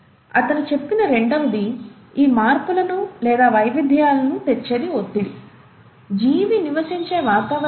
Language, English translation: Telugu, The second he said, the pressure which brings about these modifications, or the variations, is the environment in which the organism lives